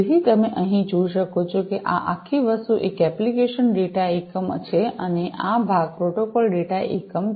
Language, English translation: Gujarati, So, as you can see over here this entire thing is the application data unit and this part is the protocol data unit